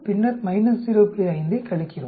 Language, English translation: Tamil, 5 that comes to 3